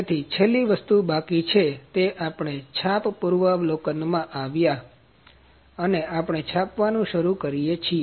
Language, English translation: Gujarati, So, last thing left is, we come to print preview and we start the print